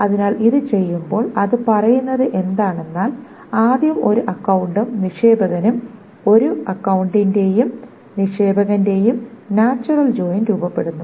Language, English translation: Malayalam, So when this is being done, what it says is that first of all, account and depositor, the natural join of account and depositor is performed